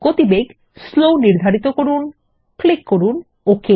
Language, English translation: Bengali, Set the speed to Slow Click OK